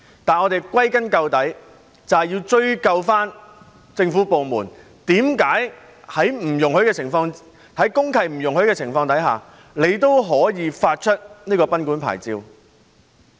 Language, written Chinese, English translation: Cantonese, 但是，歸根究底，我們要追究政府部門為何在公契不容許的情況下，他們仍會發出賓館牌照？, However ultimately we should hold the government department concerned responsible for issuing licences to these guesthouses which were not allowed under the relevant deeds of mutual covenant